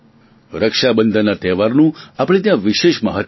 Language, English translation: Gujarati, The festival of Raksha Bandhan is a festival of special significance